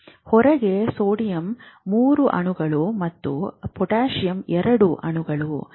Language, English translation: Kannada, So, three molecules of sodium outside, two molecules of potassium in